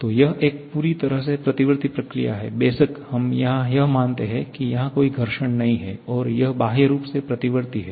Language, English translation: Hindi, So, it is a totally reversible process, of course assuming there is no friction, it is externally reversible